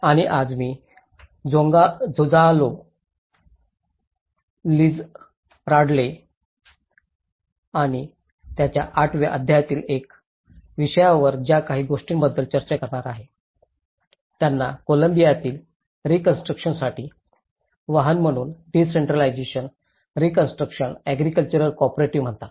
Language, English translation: Marathi, And today, whatever I am going to discuss you with about the Gonzalo Lizarralde and one of his chapter in chapter 8, is called decentralizing reconstruction agriculture cooperatives as a vehicle for reconstruction in Colombia